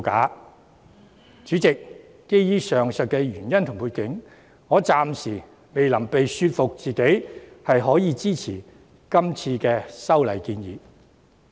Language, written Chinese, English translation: Cantonese, 代理主席，基於上述原因和背景，我暫時未能說服自己支持今次的修訂建議。, Deputy President owing to the above mentioned reasons and background I still cannot convince myself to support the proposed amendments